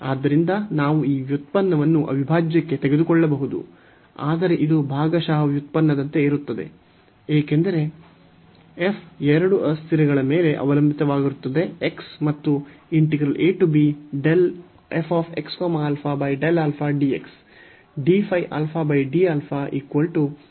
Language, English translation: Kannada, So, we can take this derivative into the integral, but this will be like partial derivative, because f depends on two variables x and alpha